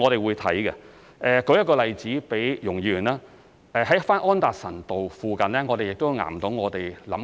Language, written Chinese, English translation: Cantonese, 為容議員提供一個例子，在安達臣道附近，我們也在考慮做岩洞。, To give Ms YUNG an example we are also considering the development of rock caverns in the vicinity of Anderson Road